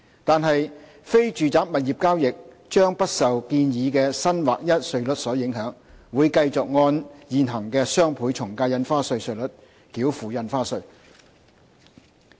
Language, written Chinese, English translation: Cantonese, 但是，非住宅物業交易將不受建議的新劃一稅率所影響，而是會繼續按現行的雙倍從價印花稅稅率繳付印花稅。, However non - residential property transactions will not be affected by the proposed new flat rate and will continue to be subject to the existing DSD rates